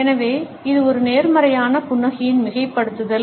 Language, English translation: Tamil, So, it is an exaggeration of a positive smile